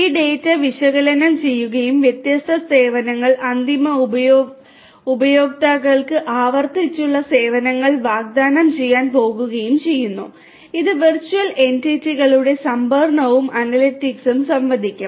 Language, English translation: Malayalam, And this data will be analyzed and different services are going to be offered to the end users replicable services which will give interaction with virtual entities storage and analytics